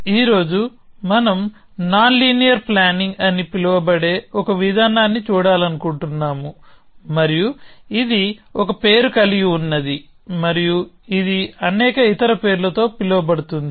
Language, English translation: Telugu, So, today we want to look at an approach which is called nonlinear planning and it is named and it is known by many other names